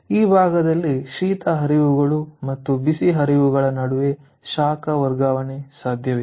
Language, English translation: Kannada, so in this portion there would be possible heat transfer between the cold streams and the hot streams